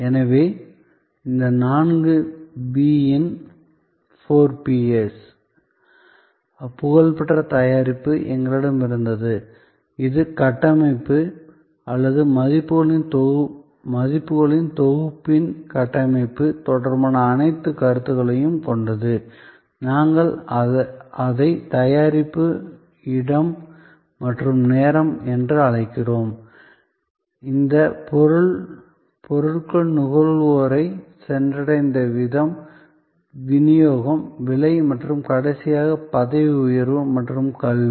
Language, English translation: Tamil, So, we had this four P’s famous product, which was all the concepts related to structuring or the architecture of the package of values, which we call product, Place and Time, which meant the way products reached the consumer, the Distribution, Price and lastly Promotion and Education